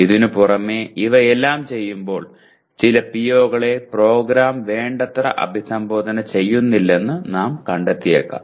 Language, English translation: Malayalam, In addition to this, when we do all these we may find certain POs are not adequately addressed by the program